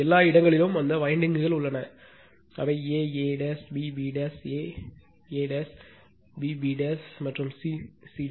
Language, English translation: Tamil, And everywhere that windings are there that a a b b a a dash b b dash and c c dash